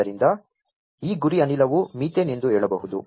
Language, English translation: Kannada, So, this target gas could be let us say methane right